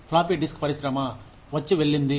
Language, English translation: Telugu, Floppy disk industry, come and go